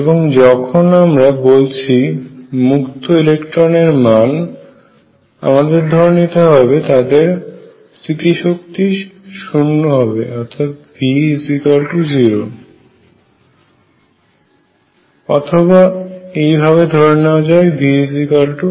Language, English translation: Bengali, And in particular I am going to talk about free electrons, and when I say free electrons; that means, the potential energy v is equal to 0 or equivalently v equals constant